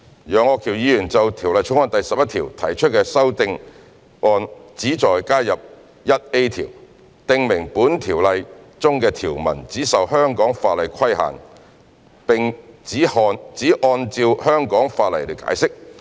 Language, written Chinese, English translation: Cantonese, 楊岳橋議員就《條例草案》第11條提出的修正案旨在加入款，訂明本條例中的條文只受香港法例規限並只按照香港法例解釋。, Mr Alvin YEUNGs amendment to clause 11 seeks to add subsection 1A to stipulate that provisions in the Ordinance shall be governed by and interpreted in accordance with solely the laws of Hong Kong